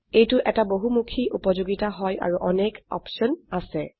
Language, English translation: Assamese, This is a very versatile utility and has many options as well